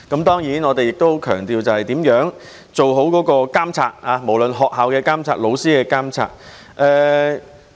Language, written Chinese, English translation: Cantonese, 當然，我們亦很強調如何做好對學校或老師的監察。, Of course we should also place strong emphasis on how the schools and teachers can be properly monitored